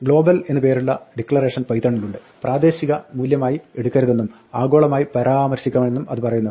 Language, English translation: Malayalam, Python has a declaration called Global, which says a name is to be referred to globally and not taken as a local value